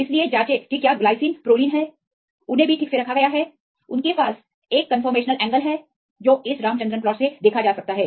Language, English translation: Hindi, So, check whether the glycines are proline they are also right placed properly they have the a conformational angles which can be seen from this Ramachandran plot